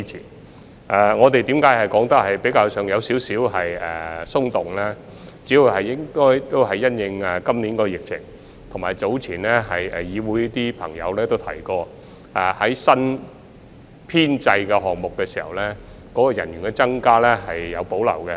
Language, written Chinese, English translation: Cantonese, 至於我們的說法為何較為寬鬆，這主要是因應今年的疫情，以及早前有議會朋友提過對新編制項目的人員增加有所保留。, As for the reason for adopting a more relaxed schedule it is mainly due to the epidemic this year and the reservation expressed by some Members in the legislature earlier on about the manpower increase in the new establishment proposal